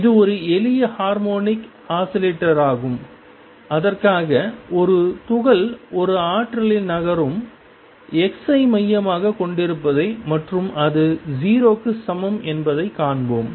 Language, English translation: Tamil, And that is a simple harmonic oscillator for which a particle moves in a potential let us see the potential is centered around x equals 0